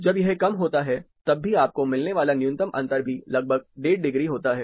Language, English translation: Hindi, Even when it is low, the minimum difference you get is also around one and half degrees